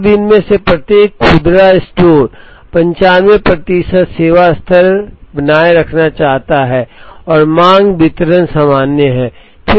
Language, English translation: Hindi, Now, each of these retail store wishes to maintain 95 percent service level and the demand distribution is normal